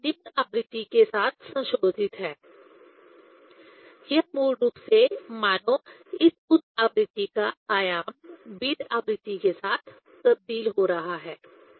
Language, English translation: Hindi, So, that is modulated with this lower frequency; this basically as if the amplitude of this higher frequency is varying with the beat frequency